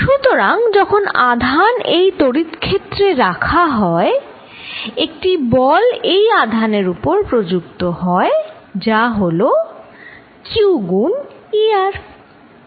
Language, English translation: Bengali, So, that when charge q is put in this field, the force on this charge is given as q times E r